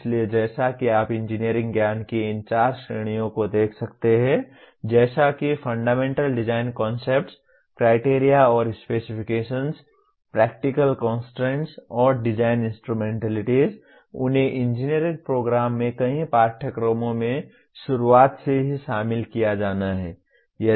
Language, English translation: Hindi, So as you can see these four categories of engineering knowledge namely fundamental design concepts, criteria and specifications, practical constraints and design instrumentalities, they have to be incorporated right from the beginning in several courses in an engineering program